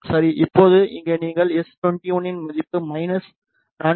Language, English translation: Tamil, Now, here you can see the value of s 21 is minus 4